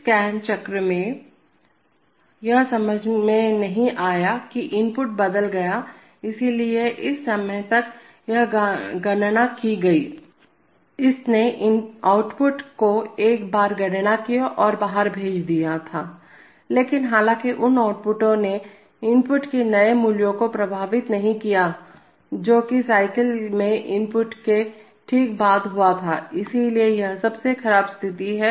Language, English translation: Hindi, In this scan cycle it could, it did not sense that the input has changed, so therefore it computed, by this time, it had computed and sent out the outputs once, but however those outputs did not reflect the new value of input which occurred just after the input in the cycle took place, so that is why it is the worst case